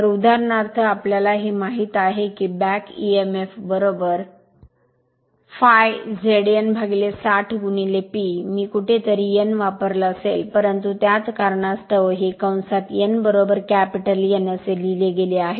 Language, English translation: Marathi, So, for example, we know that back Emf is equal to phi Z small n upon 60 into P by A somewhere I might have used capital n, but same thing that is why in the bracket it is written small n is equal to capital N